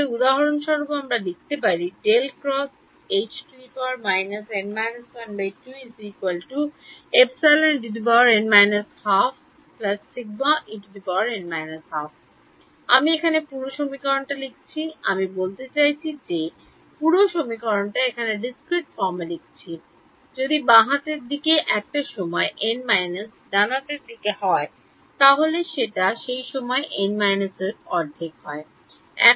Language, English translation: Bengali, I have just written down the whole I mean whole equation in discrete form if the left hand side is at time n minus half right hand side should also be at time n minus half